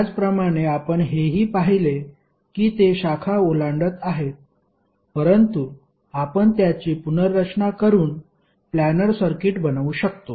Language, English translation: Marathi, Similarly here also we saw that it is crossing the branches but we can reorganize and make it as a planar circuit